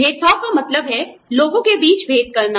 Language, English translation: Hindi, Discrimination means, making distinctions among people